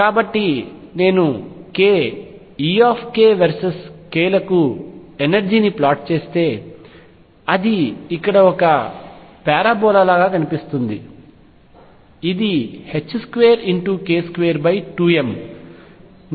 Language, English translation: Telugu, So, if I would plot energy versus k, E k versus k it would look like a parabola here, this is h cross square k square over 2 m